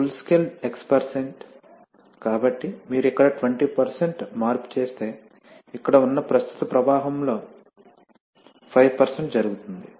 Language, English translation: Telugu, x% of full scale, so if you make a 20% change here then may be 5% of the current flow which is here, will take place